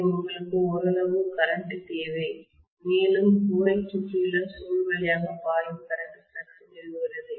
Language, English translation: Tamil, So you need some amount of current and that current flowing through the coil wound around the core is establishing the flux